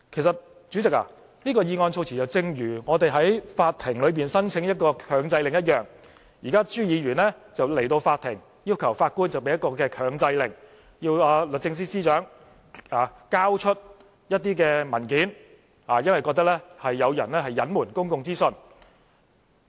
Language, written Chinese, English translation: Cantonese, 主席，這份議案措辭正如我們向法庭申請強制令一樣，現在朱議員來到法庭，要求法官頒布強制令，要求律政司司長交出一些文件，因為他認為有人隱瞞公共資訊。, President the wording in this motion looks exactly like the one when we need to apply for an injunction from the Court . At this moment Mr CHU has come to the Court to request the judge to issue an injunction in order to demand the Secretary for Justice to hand over documents because he thinks someone has withheld public information